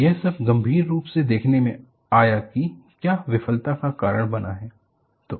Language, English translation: Hindi, So, this all came about by looking at critically, what has caused the failure